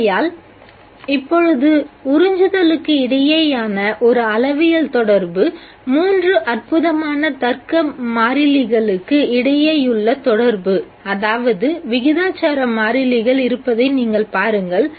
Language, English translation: Tamil, Therefore now you see that there is a quantitative relation between absorption relation between the three phenomenological constants, phenomena logical constants, that is the proportionality constants